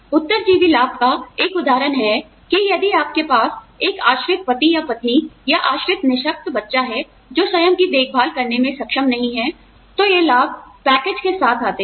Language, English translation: Hindi, One example of a survivor benefit, that if you have a dependent spouse, or a dependent differently abled child, who may not be able to look after himself, or herself, then these benefits come with the package